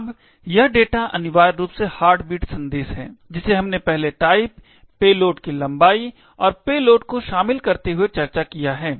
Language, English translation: Hindi, Now, this data is essentially the heartbeat bit message, which we have discussed earlier comprising of the type, the length of the payload and the payload itself